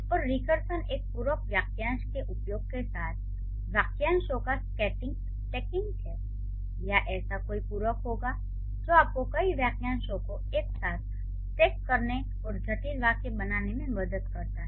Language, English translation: Hindi, And recursion is stacking of phrases with the, with the use of one, like there would be a complementizer phrase or there would be a complementizer like that, that helps you to stack many phrases together and to create complex sentences